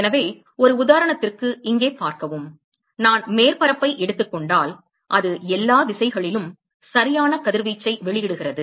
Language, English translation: Tamil, So, for an example see here supposing I take the surface here it is emitting radiation in all direction right